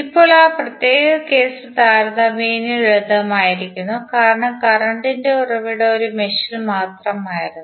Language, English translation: Malayalam, Now, that particular case was relatively simple because mesh the current source was in only one mesh